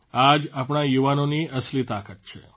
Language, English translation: Gujarati, This is the real strength of our youth